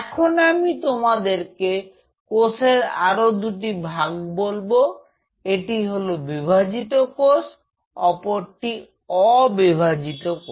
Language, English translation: Bengali, Now I am introducing that we can classify the cells under 2 groups dividing cells and non dividing cells